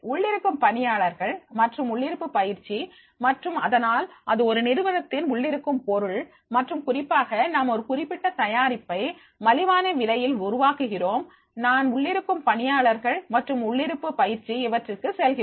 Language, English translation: Tamil, Internal staffing and in house training and that because it is an internal matter of the organization and therefore specifically we are developing about that particular product at the low price then it is required that is we go by the internal staffing and in house training